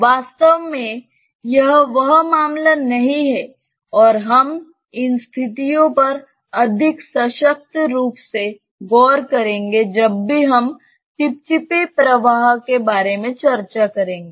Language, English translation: Hindi, In reality that is not the case and we will look into these situations more emphatically whenever we are discussing with viscous flows